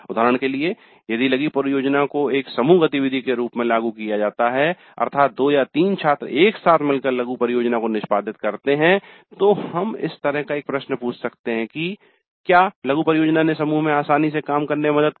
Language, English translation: Hindi, For example, if the mini project is implemented as a group activity, two or three students combining together to execute the mini project, then we can ask a question like the mini project helped in working easily in a group